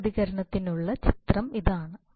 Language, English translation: Malayalam, That is the picture for the step response